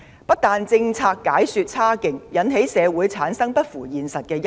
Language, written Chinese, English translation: Cantonese, 一方面，政府解說政策差勁，引起社會產生不符現實的憂慮。, On the one hand the Government did a very poor job in explaining its policy causing society to harbour worries not founded on facts